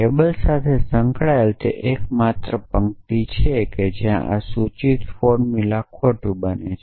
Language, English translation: Gujarati, That is the only row in the implication to table where this implication formula becomes false